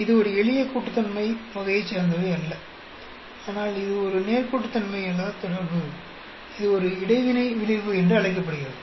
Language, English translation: Tamil, It is not a simple additive type of relationship, but it is a non linear relationship, that is called an interaction effect